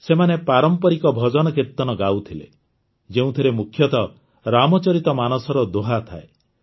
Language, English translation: Odia, They used to sing traditional bhajankirtans, mainly couplets from the Ramcharitmanas